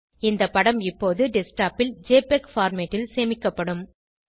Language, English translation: Tamil, The image will now be saved in JPEG format on the Desktop